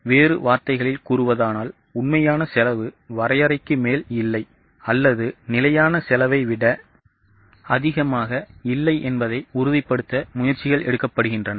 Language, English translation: Tamil, In other words, efforts are directed to ensure that actual cost does not exceed the benchmark or does not exceed the standard cost